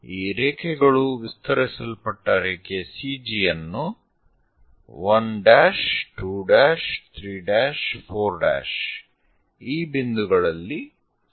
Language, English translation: Kannada, And these lines are going to intersect the extended line CG at 1 dash, 2 dash, 3 dash, 4 dash and so on points